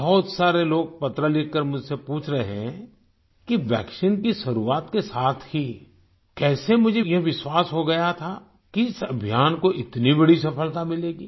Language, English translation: Hindi, Many people are asking in their letters to me how, with the commencement itself of the vaccine, I had developed the belief that this campaign would achieve such a huge success